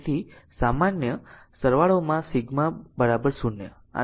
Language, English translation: Gujarati, So, sigma in general summation is equal to 0 this is it